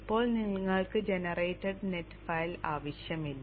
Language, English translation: Malayalam, Now you don't need to have generated the net file